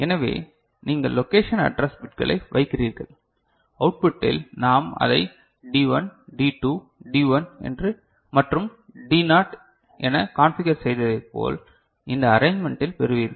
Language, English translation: Tamil, So, you place the location address bits and at the output you will get the way we have configured it D1 D2, D1 and D naught by this arrangement, is it fine